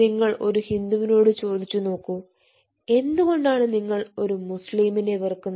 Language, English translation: Malayalam, you ask a hindu: why do you hate a muslim person